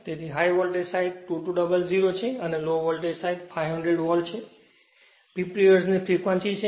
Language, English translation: Gujarati, So, high voltage side 2200; low voltage side is 500 volt, 50 hertz frequency is 50 hertz